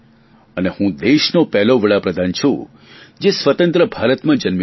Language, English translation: Gujarati, And I am the first Prime Minister of this nation who was born in free India